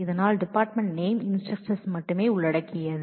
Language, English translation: Tamil, So, department name is involved only the instructor